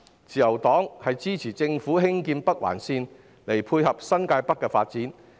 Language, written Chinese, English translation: Cantonese, 自由黨支持政府興建北環綫，以配合新界北的發展。, The Liberal Party supports the Governments development of the Northern Link to dovetail with the development of New Territories North